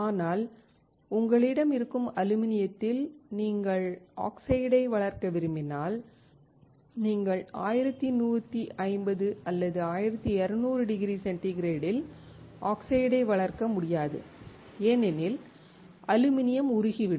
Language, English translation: Tamil, But, if you have aluminum on which you want to grow oxide, then you cannot grow oxide at 1150 or 1200 degree centigrade, because the aluminum will melt